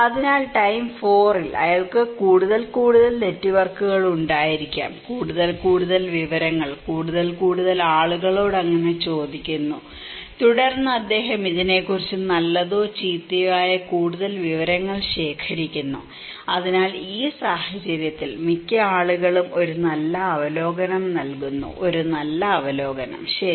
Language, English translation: Malayalam, So, in time 4, maybe he has more and more and more networks, more and more informations, asking more and more people so, he then collecting more informations either good or bad about this so, in this case, most of the people give a better review, a positive review, okay